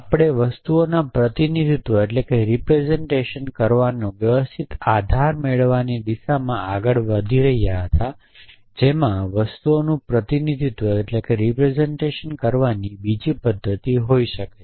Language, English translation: Gujarati, So, we were moving towards move systematic base of representing things they could be other mechanism for representing things